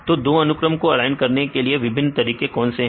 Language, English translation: Hindi, So, what is various ways to align two sequences